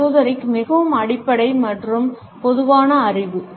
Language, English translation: Tamil, Well, esoteric is most basic and common knowledge